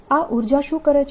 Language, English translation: Gujarati, what does this energy do